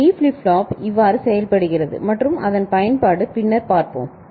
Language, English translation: Tamil, And this is how the D flip flop works and more of it, its application we shall see later